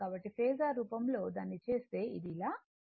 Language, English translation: Telugu, So, in the Phasor form if, you make it , it will be something like this